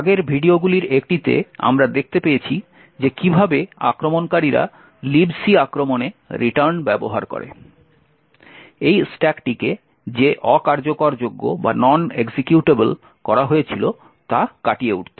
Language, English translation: Bengali, In one of the previous videos we see how attackers use the return to libc attack to overcome the fact that this stack was made non executable